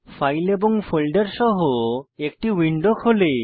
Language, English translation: Bengali, A window with files and folders opens